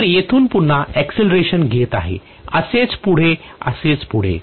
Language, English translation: Marathi, So from here again, it is going to accelerate and so on and so forth